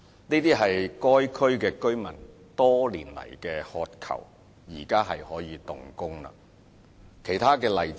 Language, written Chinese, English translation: Cantonese, 這些是該區居民多年來所渴求的措施，現在可以動工了。, The construction works of these measures for which local residents have been asking over the years may commence now